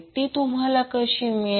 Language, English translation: Marathi, so, how to find